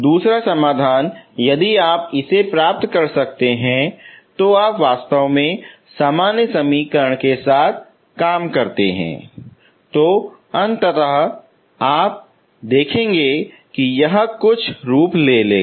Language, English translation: Hindi, Second solution if you can get it, if you actually work out with the general equation eventually you will see at the end that it will take certain form